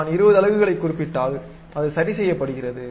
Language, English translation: Tamil, Then if I specify 20 units, it is adjusted